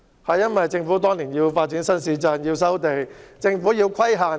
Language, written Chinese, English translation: Cantonese, 當年政府為了發展新市鎮，便要收地和設立規限。, Years ago in order to develop new towns the Government resumed land and set limitations